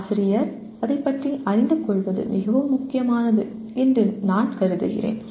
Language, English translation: Tamil, I consider it is very important for the teacher to know about it